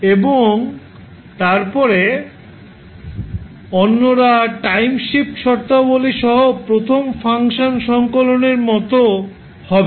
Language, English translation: Bengali, And then others will be like compilation of the first function with time shift conditions